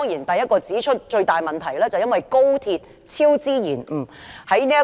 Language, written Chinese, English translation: Cantonese, 首要指出的最大問題，是高鐵超支延誤。, The greatest problem to be pointed out first is the delays and cost overruns of XRL